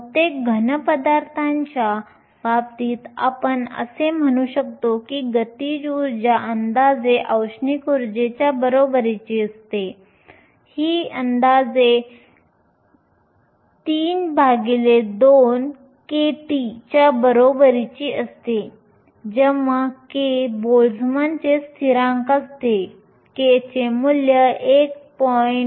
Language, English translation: Marathi, In case of most solids, we can say that the kinetic energy is approximately equal to the thermal energy, this is approximately equal to 3 by 2 kT, where k is the Boltzmann constant, k has the value 1